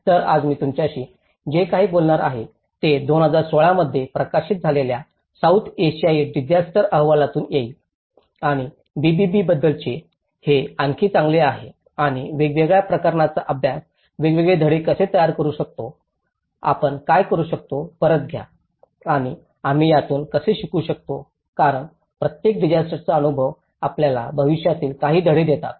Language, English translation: Marathi, So, whatever I am going to discuss with you today, it will be from the South Asian disaster report which was published in 2016 and these about the BBB the build back better and how different case studies are able to produce different lessons, what we can take back and how we can learn from it because every disaster experience provide us some lessons to take over for the future